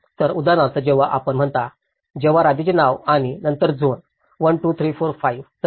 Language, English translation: Marathi, So, for example when you say, the state name and then zone; 1, 2, 3, 4, 5, like that